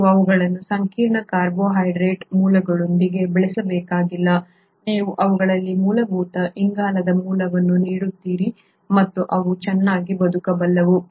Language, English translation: Kannada, You do not have to grow them with complex carbohydrate sources, you give them basic carbon source and they are able to survive very well